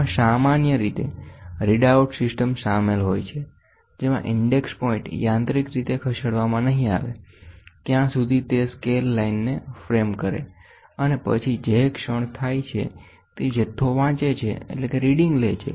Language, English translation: Gujarati, It typically involves a read out system in which an index point is moved mechanically until it frames the scale line, and then reads the amount of the moment that it is taken place